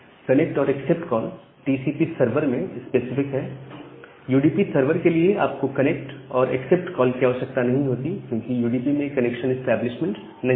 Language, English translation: Hindi, So, the connect and accept call are specific to the TCP server; for the UDP server you do not require the connect and accept call, because we do not have a connection establishment in case of UDP